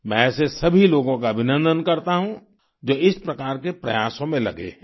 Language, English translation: Hindi, I extend my greetings to all such individuals who are involved in such initiatives